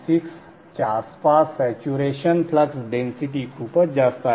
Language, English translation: Marathi, They have pretty high saturation flux density around 1